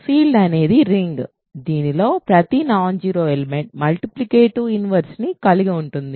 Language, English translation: Telugu, A field is a ring in which every non zero element has a multiplicative inverse